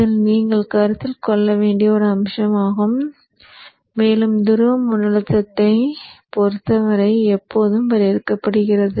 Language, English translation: Tamil, So that is one aspect which you have to consider and that D is always defined with respect to the pole voltage